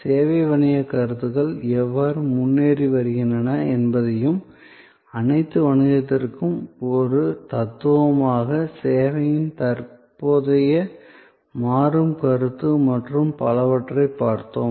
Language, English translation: Tamil, We looked at how service business concepts are progressing and the current dynamic concept of service as a philosophy for all business and so on